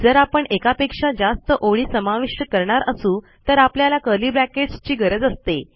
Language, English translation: Marathi, If youre going to have a line after line here, youll need the curly brackets